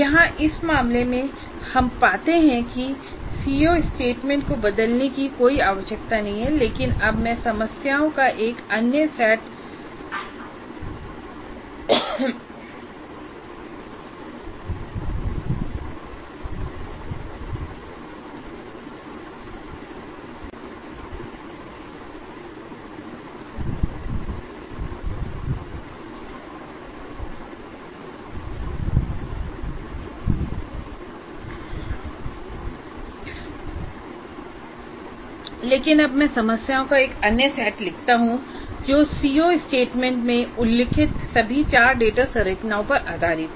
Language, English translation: Hindi, Here in this case we find that there is no need to change the C O statement but now I write a set of problems that represent all the three data structures that were mentioned in the C O statement